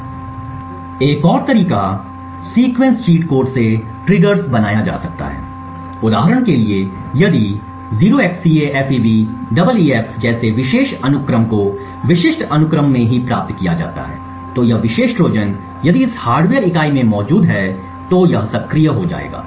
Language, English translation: Hindi, Another way triggers can be built is by sequence cheat codes for example if particular sequence such as 0xCAFEBEEF is obtained in specific sequence only then this particular Trojan if it is present in this hardware unit it would get activated